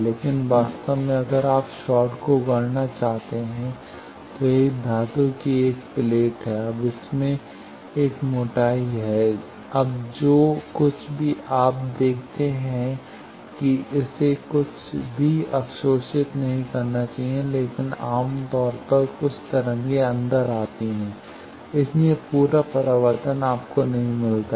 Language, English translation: Hindi, But in reality if you one to fabricate a short it is a metal plate, now that has a thickness, now whatever you see that it should not absorbed anything, but generally some waves go inside, so complete reflection you do not get